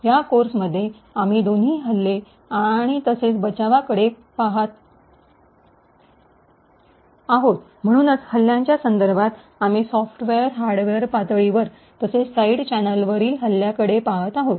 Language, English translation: Marathi, both attacks as well as defences, so with respect to the attacks we have been looking at attacks at the software, hardware level as well as side channel attacks